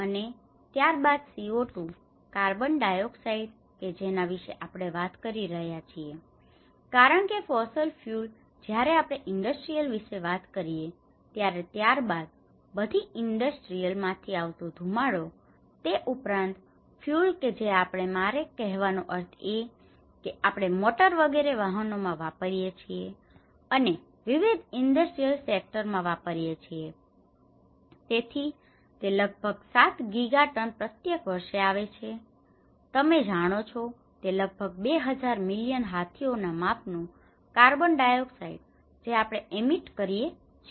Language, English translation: Gujarati, And then the CO2, the carbon dioxide which we talk about because the fossil fuels when we talk about industrial, then smoke which is coming from all the industries and as well as the fuels which we are; I mean the motor vehicles which we are using and various industrial sectors which were so, it is almost coming about 7 Giga tons per year which is about you know 2000 million elephants size of the carbon dioxide which we are emitting